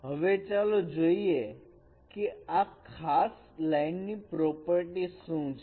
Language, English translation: Gujarati, Let us see what is the property of this special line